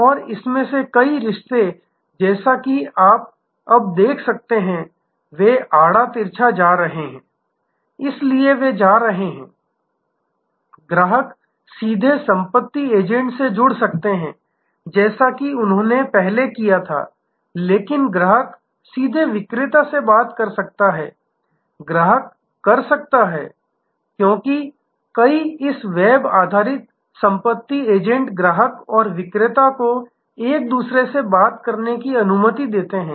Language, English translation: Hindi, And many of these relationships as you can see now, they are going crisscross, so they are going… The customer can directly connect to estate agent as they did before, but the customer can directly talk to the seller, customer can… Because, many of this web based estate agents allow the customer and seller to talk to each other